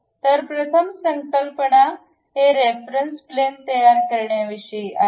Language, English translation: Marathi, So, the first concepts is about constructing this reference plane